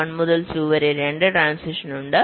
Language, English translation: Malayalam, there is one transition from one to two